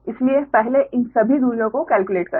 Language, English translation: Hindi, so first, all these distances you compute right